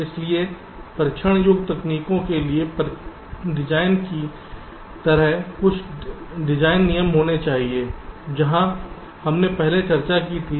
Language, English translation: Hindi, so there has to be some design rules, like the design for testibility techniques that where discussed earlier